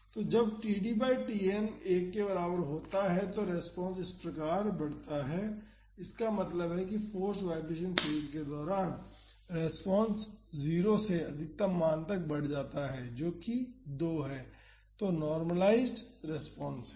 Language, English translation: Hindi, So, when td by Tn is equal to 1 the response is like this so; that means, during the forced vibration phase, the response increases from 0 to the maximum value that is 2, that is the normalized response